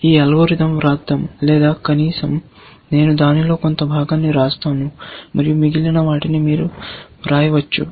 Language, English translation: Telugu, Let us write this algorithm, or at least, I will write a part of it, and you can write the rest